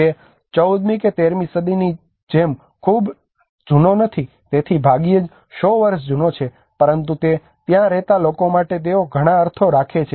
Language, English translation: Gujarati, It is not very old like 14th or 13th century, there are hardly 100 year old but still they carry a lot of meanings to those people who live there